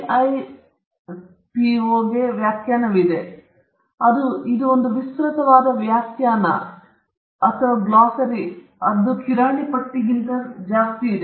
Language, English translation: Kannada, The WIPO has a definition on; it’s an expansive definition or which is more like a glossary/grocery list